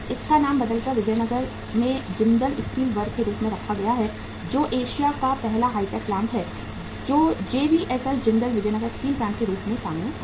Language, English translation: Hindi, It is renamed as Jindal Steel Works at the Vijayanagar which is Asia’s first hi tech plant which came up as JVSL Jindal Vijayanagar Steel Plant